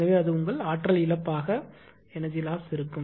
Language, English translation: Tamil, So, that will be your energy loss